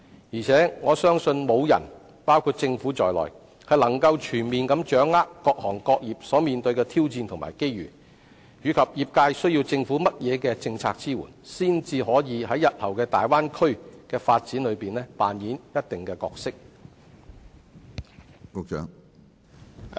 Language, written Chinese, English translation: Cantonese, 而且，我相信沒有人可以全面掌握各行各業所面對的挑戰和機遇，以及業界需要政府以怎樣的政策來支援，才可在日後的大灣區發展中擔當一定的角色。, Moreover I believe no one not even the Government will fully understand the challenges and opportunities faced by various trades and industries and what matching policies the trades need the Government to implement to enable them to play a certain role in the future development of the Bay Area